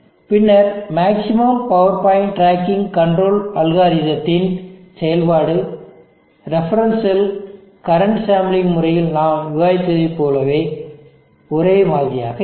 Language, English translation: Tamil, And then the functioning of the maximum power point, tracking control algorithm will be similar to what we had discussed, in the reference cell current sampling method